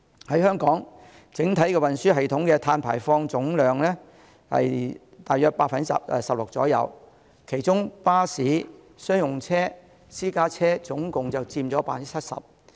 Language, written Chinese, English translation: Cantonese, 香港整體運輸系統的碳排放佔總量約 16%， 其中巴士、商用車、私家車共佔 70%。, Of the total carbon emissions in Hong Kong the overall transport system accounts for some 16 % ; and among which emissions from buses commercial vehicles and private cars account for 70 %